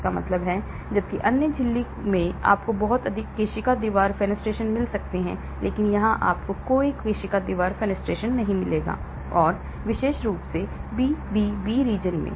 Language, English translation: Hindi, That means, whereas in other membrane you may find a lot of capillary wall fenestrations but here you will not find any capillary wall fenestrations and especially in the BBB region